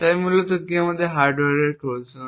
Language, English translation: Bengali, So, what exactly constitutes a hardware Trojan